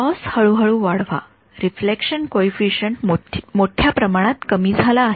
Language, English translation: Marathi, Increase the loss gradually the reflection coefficient is greatly reduced ok